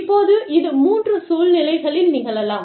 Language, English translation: Tamil, Now, this can happen, in three situations